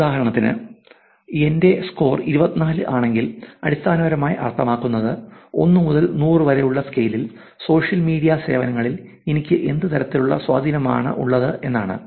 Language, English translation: Malayalam, For example, my score would be 24, which basically says that on scale of 1 to 100 what kind of influence are you having on the social media services